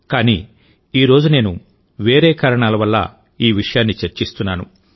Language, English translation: Telugu, But today I am discussing him for some other reason